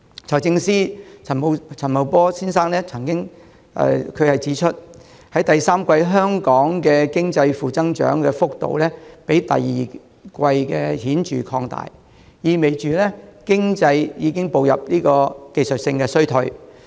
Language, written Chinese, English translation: Cantonese, 財政司司長陳茂波先生曾經指出，香港經濟在第三季的負增長幅度，較第二季顯著擴大，意味着經濟已步入技術性衰退。, As pointed out by Financial Secretary Paul CHAN the negative growth of Hong Kongs economy is markedly greater in the third quarter than in the second implying that the economy has slipped into a technical recession